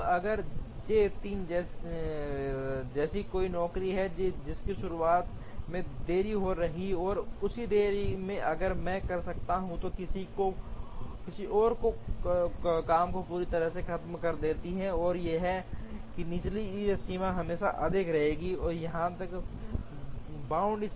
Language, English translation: Hindi, So, if there is a job like J 3, whose start is going to be delayed and in that delay, if I can finish some other job completely, then the lower bound here will always be more than the lower bound here